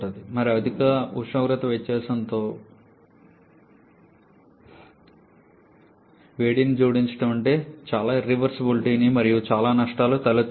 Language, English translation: Telugu, And heat addition with high temperature difference means lots of irreversibilites and lots of losses